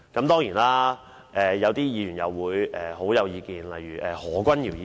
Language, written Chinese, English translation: Cantonese, 當然，有些議員對此有強烈意見，例如何君堯議員。, Some Members such as Dr Junius HO of course have very strong views on the matter